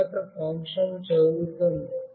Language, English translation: Telugu, Next the function readsms